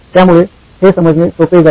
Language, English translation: Marathi, This is easy to understand